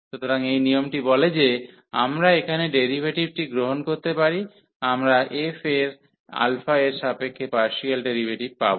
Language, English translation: Bengali, So, this rule says that we can take the derivative inside here; we will get partial derivative of f with respect to alpha